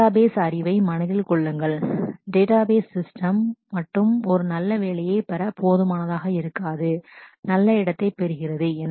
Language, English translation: Tamil, Keep in mind the database the knowledge of database system alone will not be good enough to get a good job, get a good placement